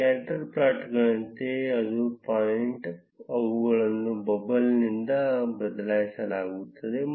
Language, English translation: Kannada, Similar to scatter plots, each point, they are replaced by a bubble